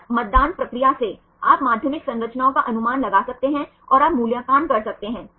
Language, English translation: Hindi, Just by voting procedure, you can predict the secondary structures and you can evaluate